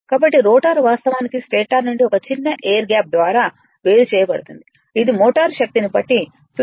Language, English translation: Telugu, So, the rotor actually separated from the stator by a small air gas which ranges from 0